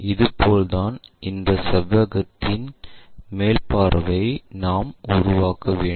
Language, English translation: Tamil, This is the way we construct top view of that rectangle